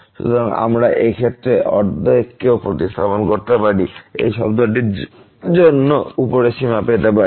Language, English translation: Bengali, So, we can replace this half also and get the upper bound for this term